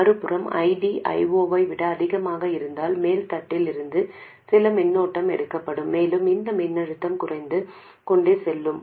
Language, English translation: Tamil, If ID is smaller than I 0, some current will be flowing into this capacitor and this voltage will go on increasing